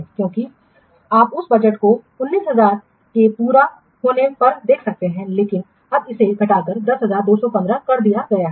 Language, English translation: Hindi, Because you can see that budget are completed estimated 19,000 but now it is reduced to 10,000, 250